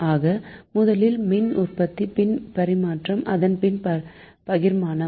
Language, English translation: Tamil, so generation, then transmission and then distribution